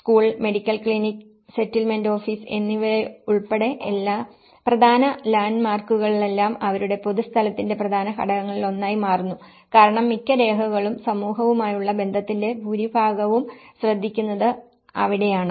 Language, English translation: Malayalam, And all these important landmarks including the school, medical clinic and the settlement office becomes one of the major component of their public place as well because that is where most of the records, most of the association with the community is taken care of